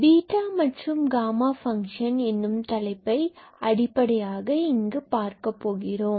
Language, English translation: Tamil, So, will basically look into this topic beta and gamma function here